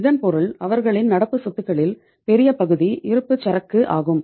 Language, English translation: Tamil, It means the large chunk in their current assets is the inventory